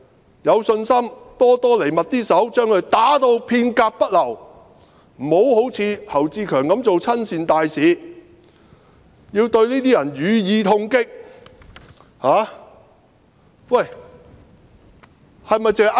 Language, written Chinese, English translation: Cantonese, 他有信心"多多嚟密啲手"，把他們打至片甲不流，不要好像侯志強般做親善大使，要對這些人予以痛擊。, He had confidence that the more the protesters the quicker the villagers would act to wipe them all out . It was necessary to deal a heavy blow at those people instead of behaving like HAU Chi - keung who tried to be a goodwill ambassador